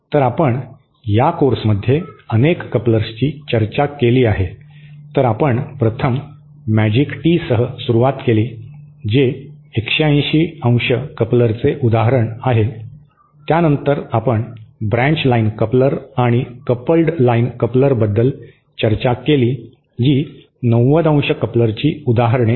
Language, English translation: Marathi, So, we have discussed a number of couplers in this course so we 1st started with magic tee which is an example of a 180¡ coupler then we discussed about branch line coupler and the the coupled line coupler which are examples of the 90¡ couplers